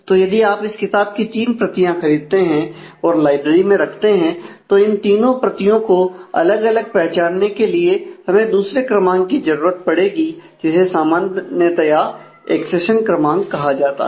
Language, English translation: Hindi, So, if you buy three copies of the book and put it in the library, then these three copies need to be identify separately by another number which is typically called the accession number